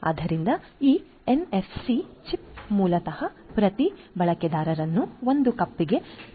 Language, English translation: Kannada, So, this NFC chips basically helps in connecting each user to a cup